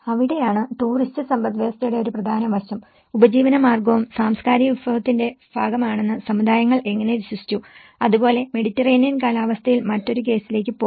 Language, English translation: Malayalam, So, that is where, the tourist economy is also an important aspect, how communities have believed that the livelihood is also a part of cultural resource and will go to another case in the same Mediterranean climate